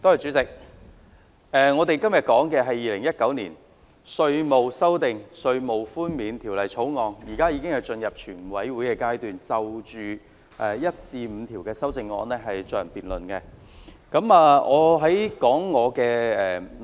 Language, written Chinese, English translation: Cantonese, 主席，我們討論的是《2019年稅務條例草案》，而現在，我們已進入全體委員會階段，就《條例草案》第1至5條進行辯論。, Chairman the subject under discussion is the Inland Revenue Amendment Bill 2019 the Bill and we are now having a debate on clauses 1 to 5 of the Bill at the Committee stage